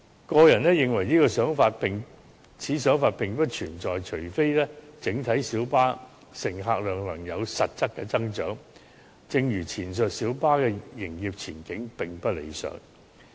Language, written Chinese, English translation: Cantonese, 我個人認為此想法並不存在，除非整體小巴的乘客量能有實質的增長，但正如前述，小巴的營業前景是並不理想的。, Personally I think this idea is not practical unless there is a substantial growth in the overall patronage of minibuses . However as mentioned just now the business prospect of minibuses is not desirable